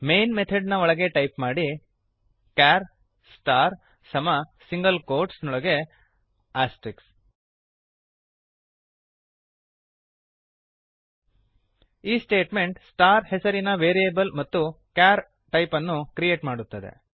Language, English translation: Kannada, Inside the main method, type char star equal to in single quotes asrteicks This statement creates a variable with name star and of the type char